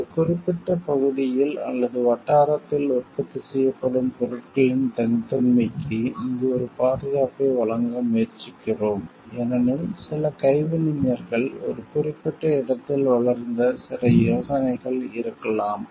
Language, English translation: Tamil, Here we are also trying to give a protection for the like uniqueness of the things produced in a particular area or locality, because there may be some craftsmen some idea which has developed in a particular place